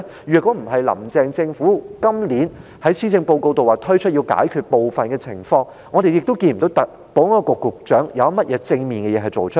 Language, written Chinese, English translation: Cantonese, 若非林鄭政府今年在施政報告中提出要解決部分情況，我們也不會看到保安局局長有甚麼正面的事情做出來。, If not for the fact that Carrie LAMs Government has proposed in the Policy Address this year to tackle some of the situations we would not have seen S for S do anything positive